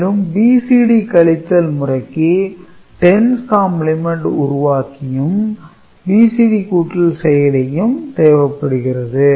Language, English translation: Tamil, And, BCD subtraction will require 10’s complement generator circuit and normal BCD adder